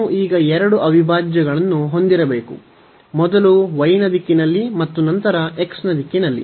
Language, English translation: Kannada, So, we need to have two integrals now; so, in the direction of y first and then in the direction of x